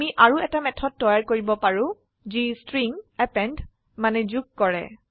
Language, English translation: Assamese, We can create one more method which append strings